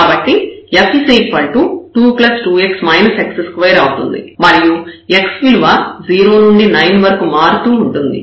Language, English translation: Telugu, So, f will be 2 plus 2 x minus x square and x varies from this 0 to 9